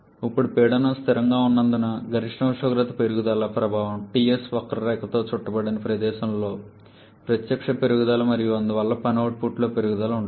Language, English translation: Telugu, And now as the pressure remains constant the effect of increase in the maximum temperature is a direct increase in the area enclosed by the TS curve and therefore an increase in the work output